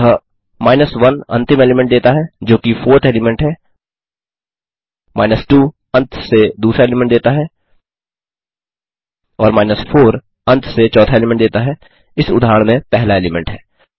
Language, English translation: Hindi, So, 1 gives the last element which is the 4th element , 2 gives second element to last and 4 gives the fourth from the last which, in this case, is the element first